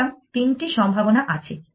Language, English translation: Bengali, So, there are three possibilities